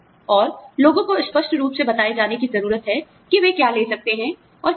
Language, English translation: Hindi, And, people need to be told, in a clear cut manner, as to what, they can, and cannot have